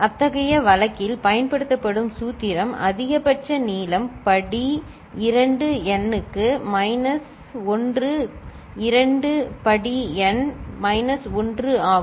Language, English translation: Tamil, And the formula that is used for such case is the maximum length that is possible is 2 to the power n minus 1, 2 to the power n minus 1